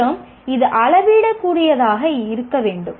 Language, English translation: Tamil, And also it should be measurable